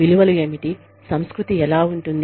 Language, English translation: Telugu, What the culture is like